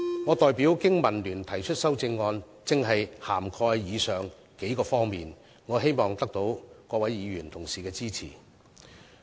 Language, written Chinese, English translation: Cantonese, 我代表經民聯提出的修正案，正正涵蓋了上述數方面，希望能夠獲得各位議員同事的支持。, The amendment that I proposed on behalf of BPA has precisely included these few areas so I hope Honourable colleagues will support it